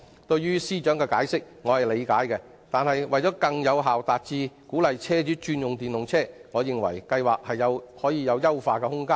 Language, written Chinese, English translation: Cantonese, 我理解司長的解釋，但為了更有效鼓勵車主轉用電動車輛，我認為這項計劃有進一步優化的空間。, I understand the explanation of the Financial Secretary but in order to encourage more car owners to switch to electric vehicles I consider that this project still has room for further enhancement